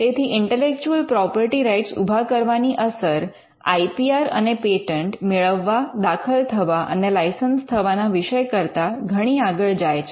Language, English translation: Gujarati, So, setting up intellectual property rights has an effect beyond just the IPR and the patents that are granted, filed and licensed